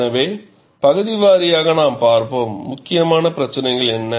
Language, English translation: Tamil, So, we would see region wise, what are the issues that are important